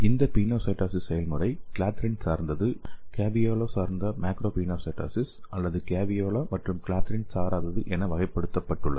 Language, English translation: Tamil, And again this pinocytosis process classified into clathrin dependent, caveolae dependent macropinocytosis or caveolae and clathrin independent based on the proteins involved in this pathway